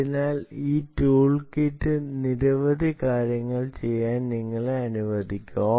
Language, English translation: Malayalam, so this tool kit will allow you to do several things